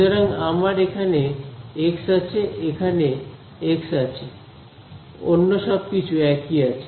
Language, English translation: Bengali, So, I have x over here x over here everything else is same